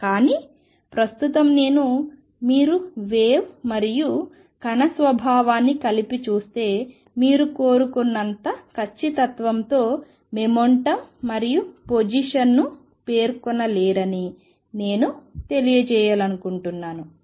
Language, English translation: Telugu, But right now just I wanted to convey that if you look at the wave and particle nature together, you cannot specify the momentum and position to as much as accuracy as you like